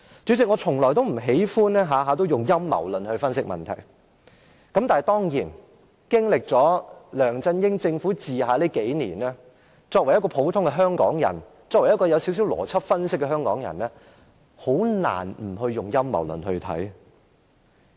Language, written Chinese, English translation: Cantonese, 主席，我從不喜歡動輒以陰謀論來分析問題，但經歷了梁振英政府治下這數年，作為一個普通的香港人，作為一個有少許邏輯分析能力的香港人也很難不以陰謀論來看這事。, President I dislike applying the conspiracy theory readily in analysing problems . However having been subject to government of the LEUNG Chun - ying Administration for the past few years it is really hard for an average Hongkonger as well as a Hongkonger with some logic and analytical power not to consider the incident a conspiracy